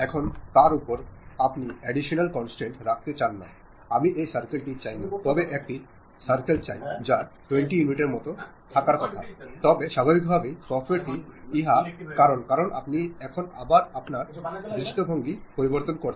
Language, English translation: Bengali, Now, over that, you want to put additional constraint; no, no, I do not want this circle, but a circle supposed to have 20 units of dimension, then naturally the software does because now you are again changing your view